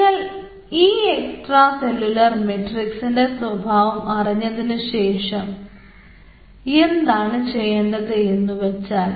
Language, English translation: Malayalam, so if you know that extracellular matrix nature, then what you can do, you have